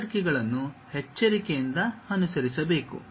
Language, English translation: Kannada, The hierarchy has to be carefully followed